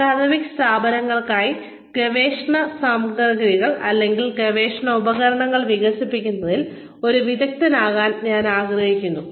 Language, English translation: Malayalam, I would like to be an expert, in developing research material, or research tools, for academic institutions